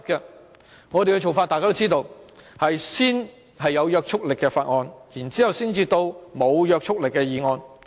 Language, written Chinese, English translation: Cantonese, 大家都知道，我們的做法，是先審議有約束力的法案，然後才審議沒約束力的議案。, As known to all we scrutinize bills with binding effect first to be followed by motions with no binding effect